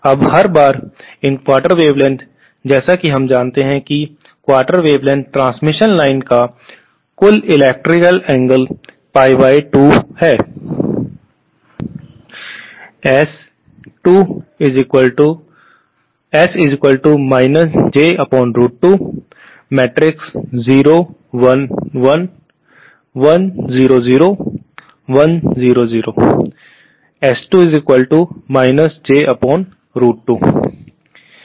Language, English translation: Hindi, Now everytime, what these quarter wavelengths, as we know total electrical angle of a quarter wavelength transmission line is pie by 2